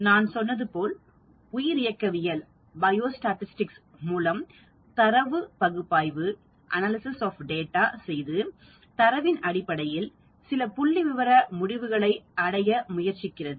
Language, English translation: Tamil, As I said biostatistics deals with the analysis of data and trying to reach at some statistical conclusion based on the data